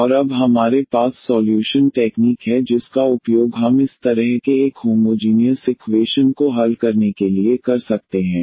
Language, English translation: Hindi, And now we have the solution technique which we can use for solving this such a homogeneous equation